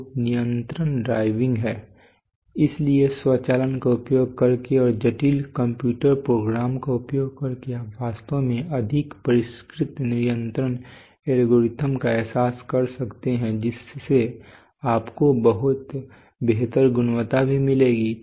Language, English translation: Hindi, So control is the driving so using automation and using sophisticated computer program you can actually realize much more sophisticated control algorithms so that will also give you much improved quality